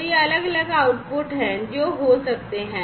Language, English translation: Hindi, So, these are the different outputs which can be